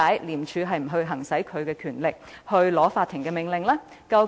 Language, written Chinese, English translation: Cantonese, 廉署何以未有行使其權力，向法庭申請命令？, Why did ICAC not exercise its power and apply for a court order?